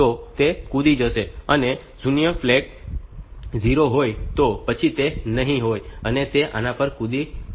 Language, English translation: Gujarati, The 0 flag is 0, then it will be not of it will be jumping at this